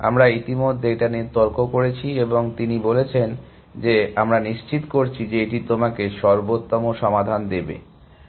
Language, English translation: Bengali, We have already argued and he said that, we guarantee that it will give you the optimal solution